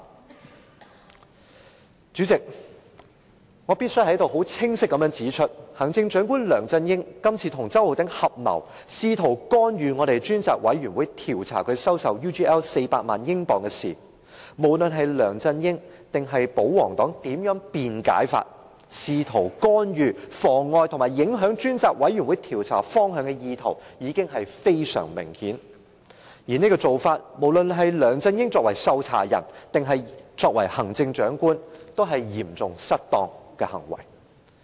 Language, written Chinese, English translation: Cantonese, 代理主席，我必須在此清晰指出，行政長官梁振英今次跟周浩鼎議員合謀，試圖干預專責委員會調查他收受 UGL 400萬英鎊的事宜，無論梁振英或保皇黨如何辯解，梁振英試圖干預、妨礙和影響專責委員會調查方向的意圖已經非常明顯，而這種做法，不論是梁振英作為受查人，還是作為行政長官，也是嚴重失當的行為。, Deputy President I must point out clearly that in respect of Chief Executive LEUNG Chun - ying colluding with Mr Holden CHOW in an attempt to interfere with the inquiry of the Select Committee into LEUNGs acceptance of £4 million from UGL no matter how LEUNG Chun - ying or the royalists defended the act the attempt of LEUNG Chun - ying to frustrate deflect or affect the direction of the inquiry could be clearly seen . Such acts constitute serious dereliction of duty on the part of LEUNG Chun - ying whether as the subject of inquiry or the Chief Executive